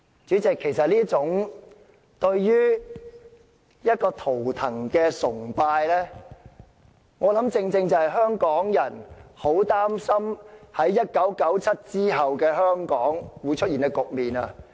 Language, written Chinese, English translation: Cantonese, 主席，這種對圖騰的崇拜，正是香港人很擔心1997年後會在香港出現的局面。, President such an act of worshipping a symbol is precisely the worry of Hong Kong people about what would happen in Hong Kong after 1997